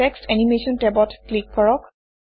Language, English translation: Assamese, Click the Text Animation tab